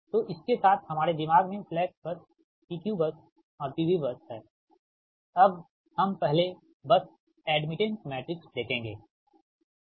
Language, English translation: Hindi, so with this in our mind, slack bus, p q bus and p v bus now will move to see that first the bus admittance matrix, right